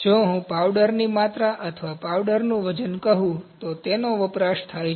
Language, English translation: Gujarati, If I say volume of the powders or weight of the powder, those are consumed